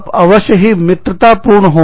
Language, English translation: Hindi, So, you must be friendly